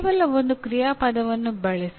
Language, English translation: Kannada, By and large, use only one action verb